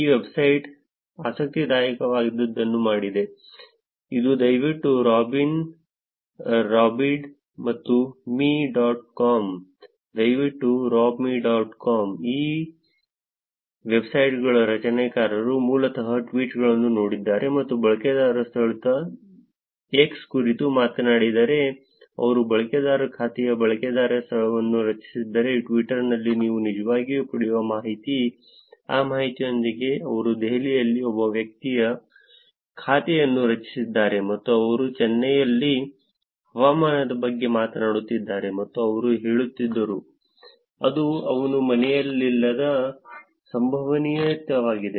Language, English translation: Kannada, This website did something interesting which is p l e a s e r o b dot robbed and me dot com please rob me dot com the creators of this websites basically looked at the tweets and if a user talks about location x or if the user created the account user location that is the information that you will actually get in Twitter, with that information they were actually saying that a person created an account in Delhi and he is talking about a weather in Chennai that is a probability that he is not he is not at home